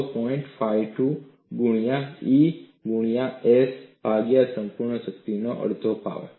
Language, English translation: Gujarati, 52 into E into gamma s divided by a whole power half